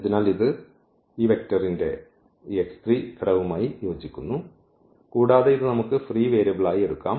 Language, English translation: Malayalam, So, that corresponds to this x 3 component of this vector and which we can take as the free variable